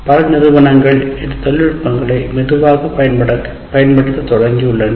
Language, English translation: Tamil, And many institutes are slowly started using these technologies